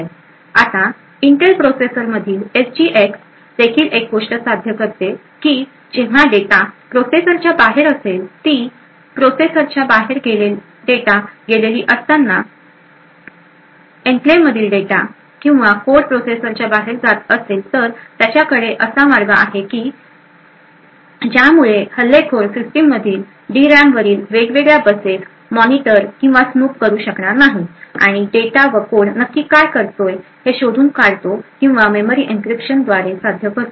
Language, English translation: Marathi, Now one thing what the SGX in the Intel processors also achieve is that it ensures that when data goes outside the processor that is if data or code from the enclave is going in or out of the processor it has provisions to ensure that no attacker could actually monitor the various buses or snoop at the D RAM present on the system and would be able to actually identify what the code and data actually is or this is achieved by having memory encryption